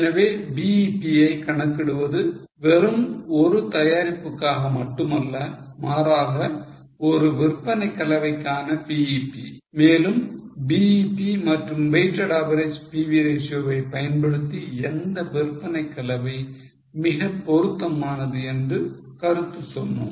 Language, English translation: Tamil, So, computing BEP not just for one product but for a BEP for a sales mix and using BEP and weighted average PV ratio commenting on which sales mix is more suitable